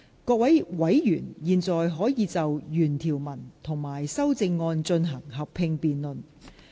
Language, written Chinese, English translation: Cantonese, 各位委員現在可以就原條文及修正案進行合併辯論。, Members may now proceed to a joint debate on the original clauses and the amendments